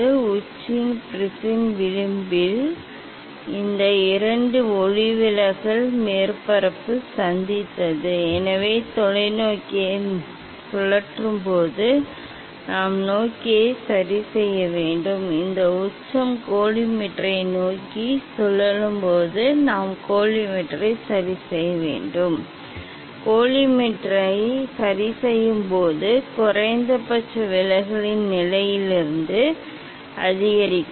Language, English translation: Tamil, When this apex this edge apex edge of the prism however, these two refracting surface met, so this when it will rotate towards the telescope, we have to adjust the telescope, when this apex it will rotate towards the collimator we have to adjust collimator, this we have to do from the position of the minimum deviation